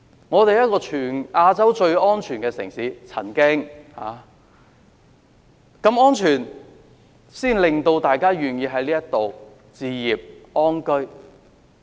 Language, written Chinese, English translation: Cantonese, 我們曾經是全亞洲最安全的城市，我相信這是一個根本，令大家願意在這裏置業安居。, We were once the safest city across Asia . I believe this is the very reason people are willing to live and purchase property here